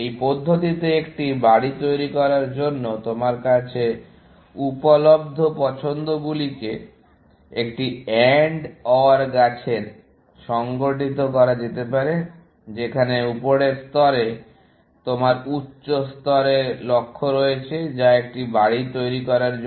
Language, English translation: Bengali, In this manner, the choices that available to you to construct a house, can be organized into an AND OR tree where, the top level, you have the high level goal, which is to construct a house